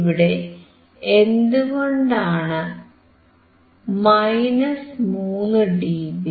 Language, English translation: Malayalam, Why 3 dB